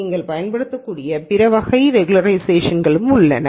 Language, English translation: Tamil, Now there are other types of regularization that you can use